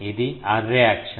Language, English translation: Telugu, This is the array axis